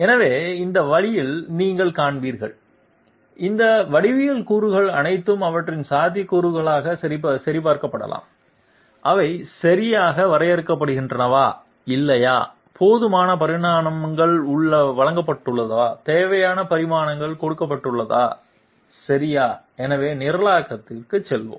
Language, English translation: Tamil, So this way you will find, all these geometry elements can be checked for their feasibility whether they are properly define or not, whether adequate dimensions have been given, whether redundant dimensions has been given okay, so let us go for the programming